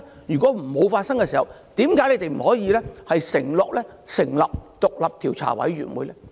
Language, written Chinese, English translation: Cantonese, 如果沒有發生，為何不能承諾成立獨立調查委員會呢？, If they did not happen why can the Government not undertake to form an independent commission of inquiry?